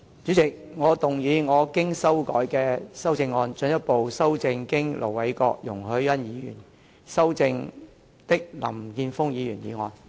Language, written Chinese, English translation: Cantonese, 主席，我動議我經修改的修正案，進一步修正經盧偉國議員及容海恩議員修正的林健鋒議員議案。, President I move that Mr Jeffrey LAMs motion as amended by Ir Dr LO Wai - kwok and Ms YUNG Hoi - yan be further amended by my revised amendment